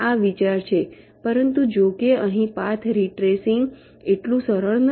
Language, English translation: Gujarati, but, however, here the path retracing is not so simple